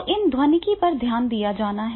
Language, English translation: Hindi, So this is the acoustics that is also to be taken care of